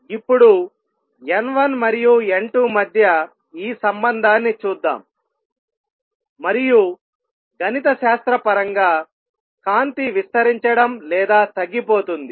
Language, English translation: Telugu, Let us now see this relationship between N 1 and N 2 and light getting amplified or diminished mathematically